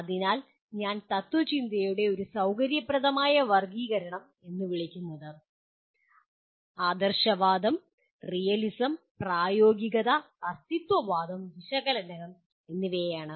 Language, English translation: Malayalam, So I call it one convenient classification of philosophy is idealism, realism, pragmatism, existentialism, and analysis